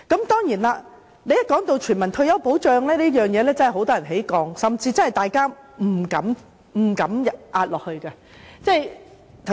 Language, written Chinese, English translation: Cantonese, 當然，一提到全民退休保障，很多人真的會有戒心，甚至大家也不敢下注。, Certainly once we talk about universal retirement protection many people will really have reservations and they dare not bet on it